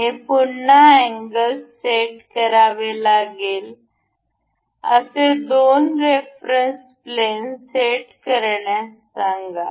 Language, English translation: Marathi, To set angle limits, we have to again select two reference planes